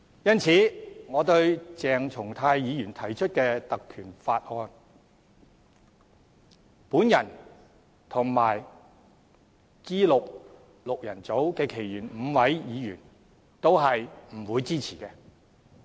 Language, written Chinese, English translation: Cantonese, 因此，對於鄭松泰議員提出的議案，我和 G6 的其餘5位議員均不會支持。, Therefore I and the other five members of G6 will not support Dr CHENG Chung - tais motion